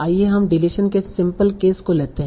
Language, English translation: Hindi, So let us take the simple case of deletion